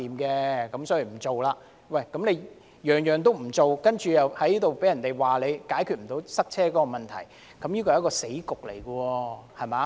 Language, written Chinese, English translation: Cantonese, 政府甚麼建議也不採納，被人指責解決不到塞車問題，這是一個死局。, We have come to an impasse as the Government refuses to adopt any proposal and are being accused of failing to resolve traffic congestion